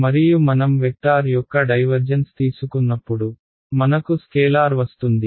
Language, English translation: Telugu, And when I take a divergence of a vector I get a scalar